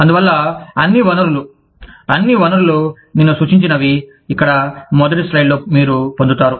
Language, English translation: Telugu, And so, all the resources, all the sources, that i have referred to, are here, on the first slide, that you will get